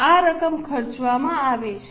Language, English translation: Gujarati, This is the amount which has been spent